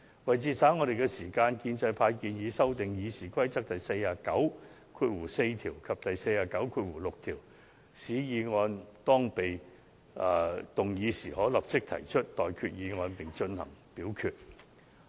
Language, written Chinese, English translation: Cantonese, 為節省議會的時間，建制派建議修訂《議事規則》第494條及第496條，使議案一經動議，主席可立即就有關議案提出待決議題並進行表決。, To save the Councils time pro - establishment Members propose to amend RoP 494 and RoP 496 to the effect that once such a motion is moved the PresidentChairman shall immediately proceed to put a question in respect of the motion which should then be put to a vote